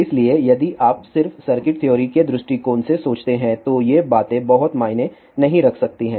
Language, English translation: Hindi, So, again if you just think from circuit theory point of view these things may not make a much sense